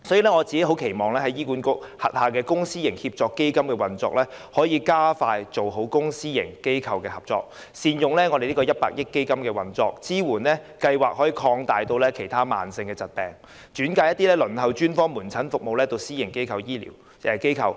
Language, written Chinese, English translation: Cantonese, 所以，我期望在醫院管理局轄下的公私營協作計劃下，可以加快做好公私營機構的合作，善用100億元基金推行服務，把支援計劃擴大至其他慢性疾病，以及把一些正在輪候專科門診服務的病人轉介至私營醫療機構。, Therefore I expect the public - private partnership programmes under the Hospital Authority to enable faster and better cooperation between the public and private sectors good use of the 10 billion fund for service delivery extension of coverage to other chronic diseases and referral of some patients to private health care facilities for specialist outpatient services